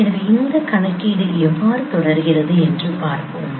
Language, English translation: Tamil, So let us see how this computation proceeds